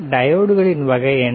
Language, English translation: Tamil, How about we have a diode